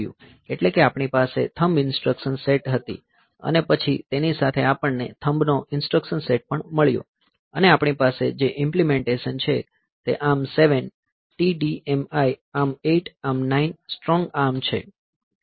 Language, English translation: Gujarati, So, that is that had the thumb instruction set, and then the along with also we have got the thumb instruction set as well, and the implementations we have this ARM 7 TDMI, ARM 8, ARM 9, strong ARM